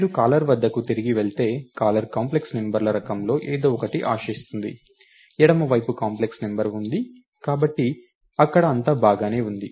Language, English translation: Telugu, If you go back to the caller, the caller is expecting something of the type complex numbers, the left side is a complex number, so everything is good there